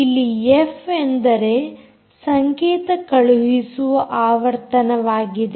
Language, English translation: Kannada, ah, location f is what the transmitted signal frequency